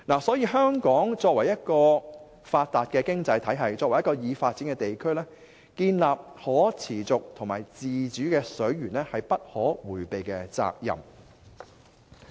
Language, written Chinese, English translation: Cantonese, 所以香港作為發達的經濟體系及已發展地區，建立可持續和自主的水源是不可迴避的責任。, Therefore Hong Kong as a developed area with developed economy is inevitably responsible for developing sustainable water resources and establishing autonomy in this regard